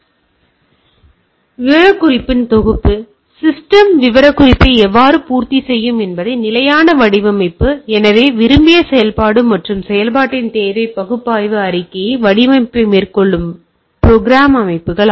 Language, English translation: Tamil, So, what I require a set of specification right; so design constant how system will meet the specification; so requirement analysis statement of desired functionality and implementation; programs systems that carry out the design